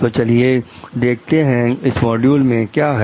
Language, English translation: Hindi, So, let us see like what is there in this module